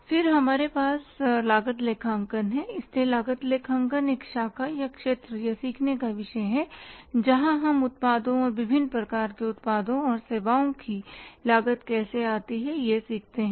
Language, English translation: Hindi, So, cost accounting is the branch or the area or the discipline of learning where we learn about how to cost the products and different type of the products and the services